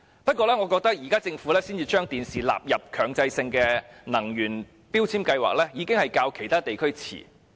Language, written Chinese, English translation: Cantonese, 然而，我認為政府現時才把電視機納入強制性標籤計劃，已經大大落後於其他地區。, Yet the fact that the Government has only recently included TVs in MEELS indicates that we are lagging far behind other regions